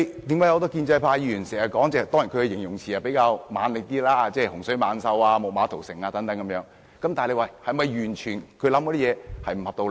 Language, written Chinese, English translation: Cantonese, 很多建制派議員發言時經常使用比較強烈的形容詞，例如"洪水猛獸"、"木馬屠城"等，但他們的想法是否完全沒有道理？, Many Members of the pro - establishment camp often employ relatively strong adjectives in their speeches such as a scourge Fall of Troy and so on . Are their arguments absolutely unfounded?